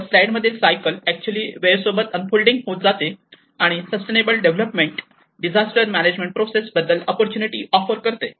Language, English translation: Marathi, So, here the cycle actually shows the unfolding over time and offer the opportunity of achieving sustainable development in the disaster management process